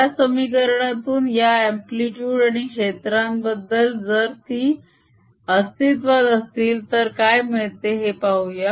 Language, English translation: Marathi, let us see what equations tell us about these amplitudes and the fields, if they exist, like this